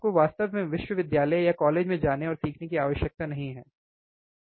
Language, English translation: Hindi, You do not really required to go to the university go to the or college and learn something, right